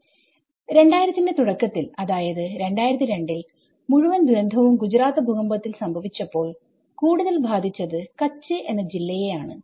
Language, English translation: Malayalam, And in the early 2000 like 2002 when the whole disaster has been struck in Gujarat earthquake